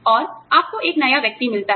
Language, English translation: Hindi, And, you get a new person in